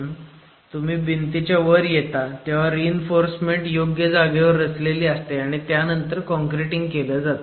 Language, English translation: Marathi, So when you are actually coming to the top of a wall, you have the reinforcement placed in position and then it is concreted